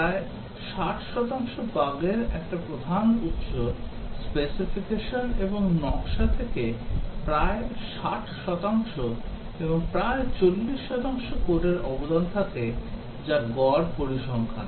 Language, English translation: Bengali, A major source of the bug about 60 percent, about 60 percent from specification and design and about 40 percent are contributed by the code that is the average statistics